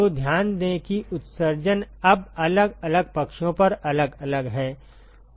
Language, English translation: Hindi, So, note that the emissivity is now on different sides are different